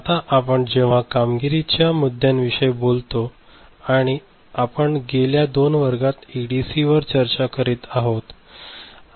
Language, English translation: Marathi, Now, when you talk about performance issues, and we have been discussing ADC in last two classes